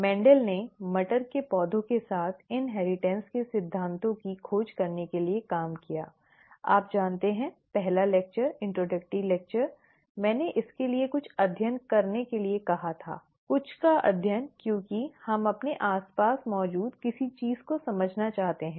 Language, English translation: Hindi, Mendel worked with pea plants to discover the principles of inheritance, you know, the very first lecture, the introductory lecture, I had mentioned about studying something for the sake of it, studying something because we want to understand something that exists around us